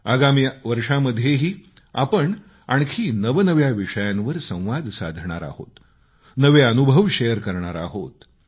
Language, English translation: Marathi, We will renew this exchange of thoughts on newer topics in the year to come, we'll share new experiences